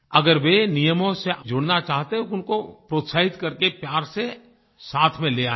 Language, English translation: Hindi, If they want to follow rules, we should encourage them, and lovingly help them cross over